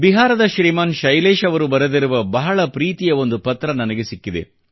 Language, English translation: Kannada, I have received a lovely letter, written by Shriman Shailesh from Bihar